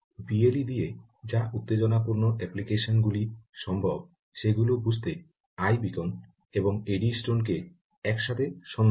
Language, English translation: Bengali, just look up i beacon and eddystone together to understand exciting ah applications which are possible with the with b l e